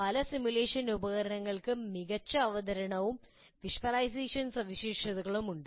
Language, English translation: Malayalam, Many simulation tools have good presentation and visualization features as well